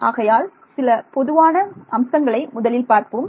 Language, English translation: Tamil, So, a few very general points first